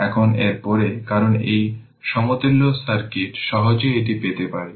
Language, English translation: Bengali, Now, next that, because from this equivalent circuit you can easily get it right